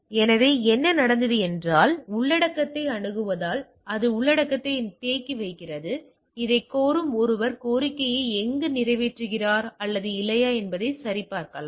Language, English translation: Tamil, So, what happened that as it is accessing the things it is also caching the content, somebody requesting it may check there where is fulfilling the request or not